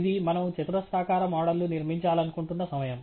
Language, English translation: Telugu, This time around we want to built a quadratic model